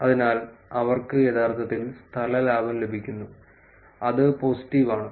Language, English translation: Malayalam, So, they are actually getting space gain which is positive